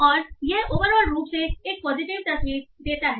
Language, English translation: Hindi, And this overall, this look gives a positive picture